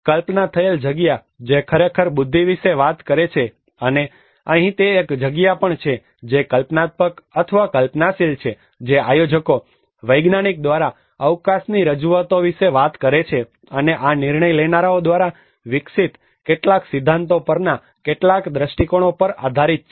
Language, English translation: Gujarati, Conceived space which actually talks about the intellect and here it is also a space that has been conceptualized or conceived by planners, scientist which talks about the representations of the space, and these are based on certain visions on certain principles developed by decision makers